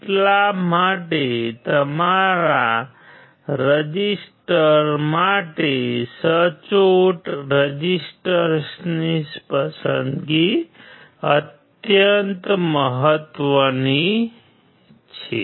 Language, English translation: Gujarati, That is why the selection of your resistors, accurate resistors is extremely important right